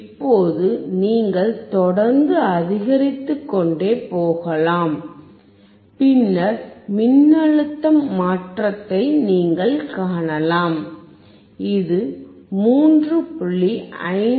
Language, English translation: Tamil, Now you can keep on increasing and then you can see the change in the voltage, you can see that is 3